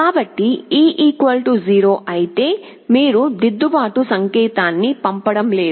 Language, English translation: Telugu, So, if e = 0, then you are not sending any corrective signal